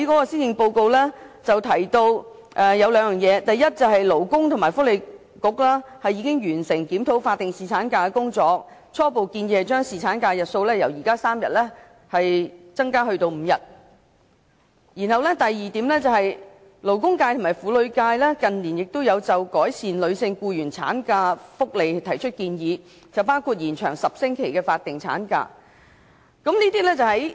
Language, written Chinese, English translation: Cantonese, 施政報告提到兩點：第一、勞工及福利局已經完成檢討法定侍產假的工作，初步建議將侍產假的日數由現時的3天增至5天；第二、勞工界及婦女界近年都有就改善女性僱員的產假福利提出建議，包括延長10星期的法定產假。, It was mentioned in the policy address that the Labour and Welfare Bureau had completed the review of the statutory paternity leave and initially proposed to extend the paternity leave from the current three days to five days; and in recent years the labour and women sectors had also proposed to improve the maternity benefits of female employees including extending the duration of the 10 weeks statutory maternity leave